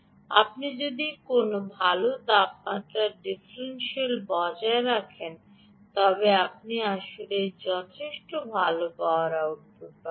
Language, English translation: Bengali, if you maintain a good temperature differential ah, you will actually get sufficiently good power output